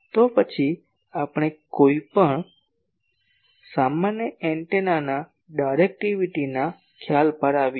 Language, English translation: Gujarati, Then let us come to the concept of directivity of any general antenna